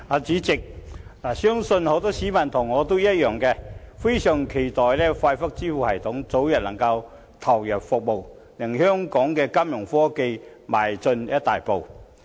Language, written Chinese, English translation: Cantonese, 主席，相信很多市民像我一樣，非常期待快速支付系統早日投入服務，令香港的金融科技邁進一大步。, President I believe many members of the public like me are looking forward to the early commencement of FPS which will enable Fintech in Hong Kong to make a great stride forward